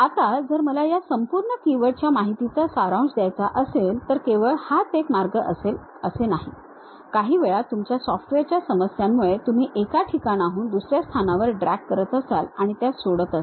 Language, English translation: Marathi, Now, if I would like to summarize this entire keywords information, it is not only this way we can have it, sometimes because of your software issues you might be dragging from one location to other location also you might be leaving